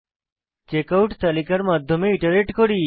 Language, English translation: Bengali, We iterate through the Checkout list